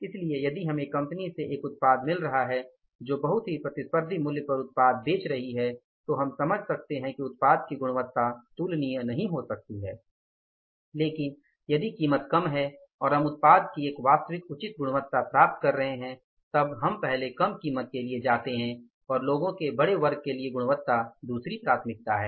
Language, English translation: Hindi, So, if we are getting a product from a company who is selling the product at a very competitive price, though we can understand that the quality of the product may not be comparable but the price if it is lesser and we are getting a genuine reasonable quality of the product, we first go for the lesser price than the second priority is the quality for the larger section of the people